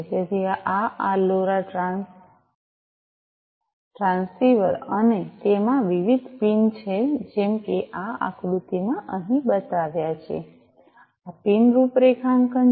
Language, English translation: Gujarati, So, this is this LoRa transceiver and it has different pins like shown over here in this figure, this is the pin configuration